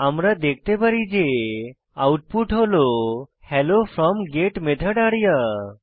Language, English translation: Bengali, We can see that we have got the output Hello from GET Method arya